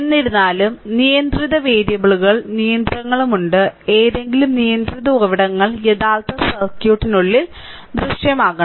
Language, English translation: Malayalam, However, restriction is there in the controlling variables for any controlled sources must appear inside the original circuit